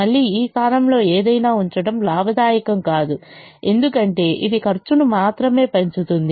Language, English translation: Telugu, again, it is not profitable to put anything in this position because it will only increase the cost